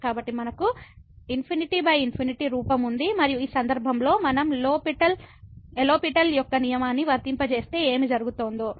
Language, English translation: Telugu, So, we have the infinity by infinity form and in this case if we simply apply the L’Hospital’s rule what will happen